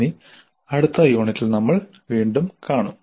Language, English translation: Malayalam, Thank you and we'll meet again in the next unit